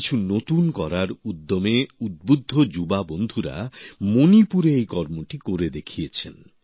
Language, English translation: Bengali, Youths filled with passion to do something new have demonstrated this feat in Manipur